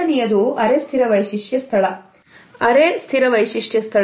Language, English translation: Kannada, The second is the semi fixed feature space